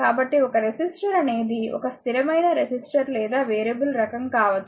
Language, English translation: Telugu, So, a resistor is either a it may be either a fixed resistor or a variable type, right